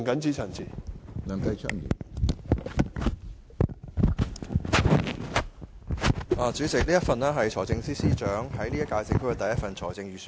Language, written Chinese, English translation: Cantonese, 主席，這是財政司司長在本屆政府發表的第一份財政預算案。, Chairman this is the first Budget presented by the Financial Secretary in the current - term Government